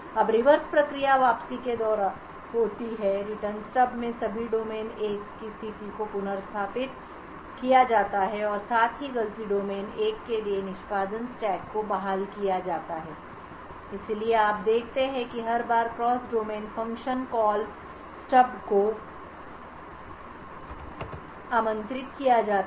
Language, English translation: Hindi, Now the reverse process occurs during the return, in the Return Stub the state of all domain 1 is restored and also the execution stack for fault domain 1 is restored, so you see that every time there is a cross domain function call invoked the Call Stub and the Return Stub would ensure that there would there is a proper transition from fault domain 1 to fault domain 2 and vice versa